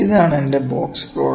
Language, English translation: Malayalam, So, what is the significance of box plot